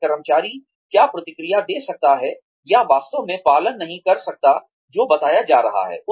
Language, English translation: Hindi, Then, the employee can, maybe react, or, not really follow, what is being told